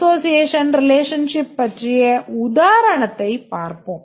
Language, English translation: Tamil, Let's look at an example of an association relationship